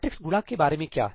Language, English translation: Hindi, What about matrix multiply